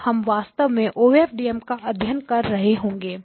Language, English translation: Hindi, So what is the OFDM transmitter actually doing